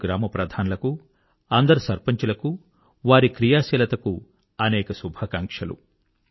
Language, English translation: Telugu, For my part I wish good luck to all the village heads and all the sarpanchs for their dynamism